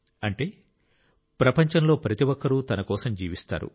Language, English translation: Telugu, That is, everyone in this world lives for himself